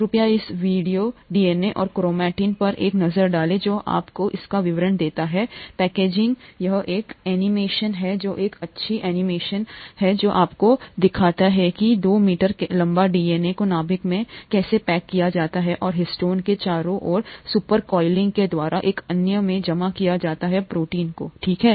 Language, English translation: Hindi, Please take a look at this video, DNA and chromatin, which gives you the details of this packaging, it is an animation which is a nice animation which shows you how the 2 meter long DNA gets packaged into a nucleus by coiling and super coiling around histones, another proteins, okay